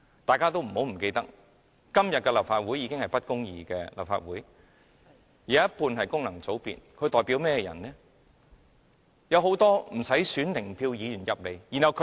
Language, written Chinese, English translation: Cantonese, 大家不要忘記，今天的立法會已經是不公義的立法會，半數議席由功能界別議員佔據，他們代表甚麼人呢？, Please do not forget that today the Legislative Council is already full of injustice . Half of the seats are occupied by Members of functional constituencies . Who do they represent?